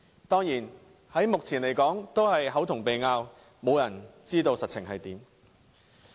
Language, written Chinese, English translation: Cantonese, 當然，目前只是"口同鼻拗"，沒有人知道實情為何。, Of course all these discussions will not come to any definite conclusion at this moment as no one knows what actually happened